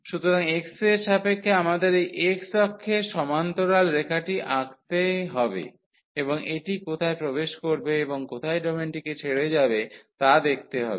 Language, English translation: Bengali, So, for with respect to x we have to draw the line parallel to this x axis, and see where it enters and leave the domain